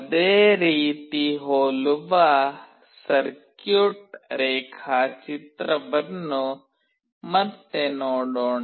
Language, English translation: Kannada, Let us see the circuit diagram again, which is very similar